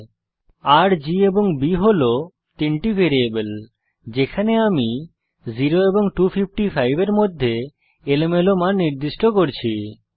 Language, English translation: Bengali, $R, $G, and $B are three variables to which I am assigning random values between 0 and 255